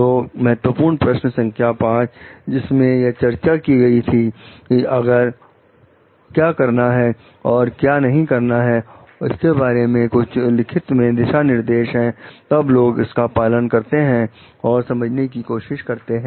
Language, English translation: Hindi, So, in key question 5 that we discussed like if there is a guideline regarding what to do what not to do something is written, then people can follow it, and try to understand